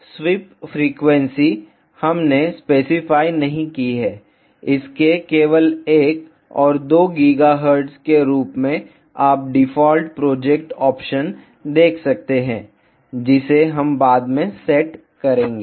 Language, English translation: Hindi, Now the sweep frequency, we have not specified; its only 1 and 2 gigahertz as as you can see default project options ah we will set it later